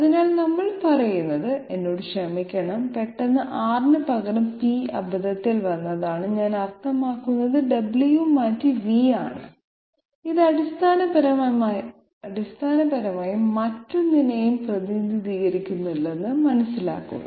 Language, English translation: Malayalam, So what we say is, I am sorry suddenly R have been replaced by p by mistake and I mean w has been replaced by v, please understand that this basically represents nothing else but the tangent